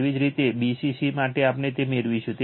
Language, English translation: Gujarati, Similarly for bcc we will get it